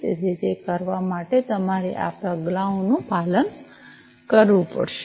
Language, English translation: Gujarati, So, for doing that you have to follow these steps, right